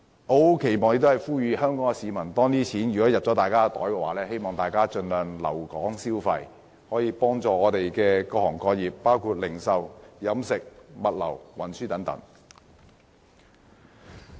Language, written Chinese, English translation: Cantonese, 我期望並且呼籲香港市民在受惠後盡量留港消費，幫助各行各業，包括零售業、飲食業、物流業、運輸業等。, I hope and urge Hong Kong people to after receiving the benefits strive to remain in Hong Kong for spending and offer assistance to various trades and industries including the retail catering logistics and transport industries